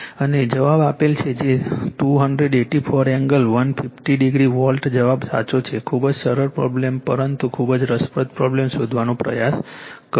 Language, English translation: Gujarati, And the answer is given 284 angle 150 degree volt answer is correct you try to find out very simple problem, but very interesting problem , right